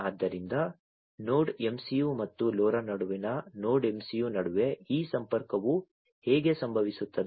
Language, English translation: Kannada, So, Node MCU and LoRa, this is how this connection is going to take place